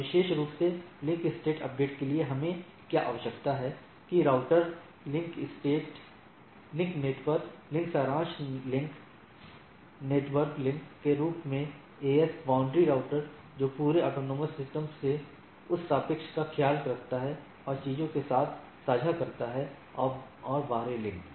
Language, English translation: Hindi, And specially the link state update we require that router link network links summary link to the network summary link to AS, boundary routers which takes care of that summarization of the whole autonomous systems and share with the things, and external links